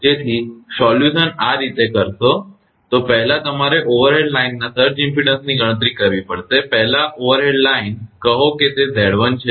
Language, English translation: Gujarati, So, solution how will do this first you have to compute the surge impedance of overhead line you know, first say overhead line say it is Z 1